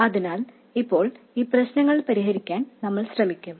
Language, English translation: Malayalam, So, now we will try to solve these problems